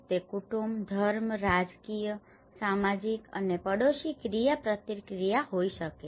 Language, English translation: Gujarati, It could be family, religion, political, social and neighbourhood interactions